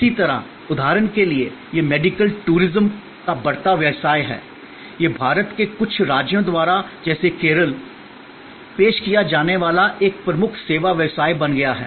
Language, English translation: Hindi, Similarly, for example, this is the growing business of medical tourism, this is become a major service business offered by certain states in India like Kerala